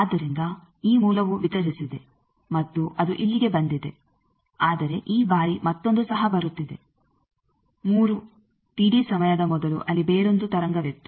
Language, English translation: Kannada, So, this source has delivered and it has come here, but this time also another one is coming, 3 T d time before there was another wave